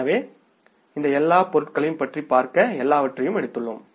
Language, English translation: Tamil, So if you talk about all these items here, we have taken almost everything